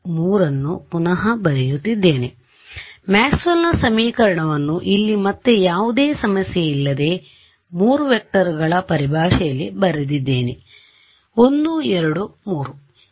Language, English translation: Kannada, So, Maxwell’s equation were re written in this no problem from here I wrote it in terms of 3 vectors 1 2 3